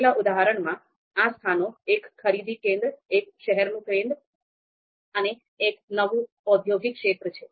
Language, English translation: Gujarati, So these locations are shopping centre, city centre and a new industrial area